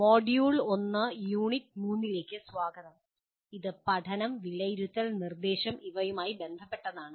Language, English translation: Malayalam, Welcome to the module 1 unit 3 which is related to three familiar words namely learning, assessment and instruction